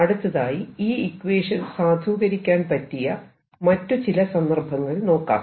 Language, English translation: Malayalam, let us now look at some other situations where this equation is valid